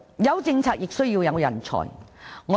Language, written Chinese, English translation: Cantonese, 有政策亦需要有人才。, While policy is in place there should be talents as well